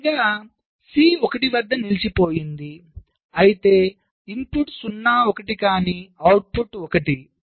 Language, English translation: Telugu, and lastly, c stuck at one where input is zero, one, but the output is one